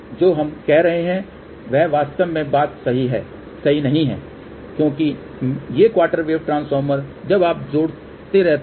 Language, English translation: Hindi, That is not really the case actually speaking because these quarter wave transformers when you keep adding one the thing